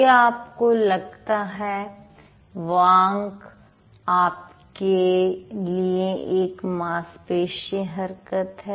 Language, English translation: Hindi, Then, do you think speech for you also is a muscular effort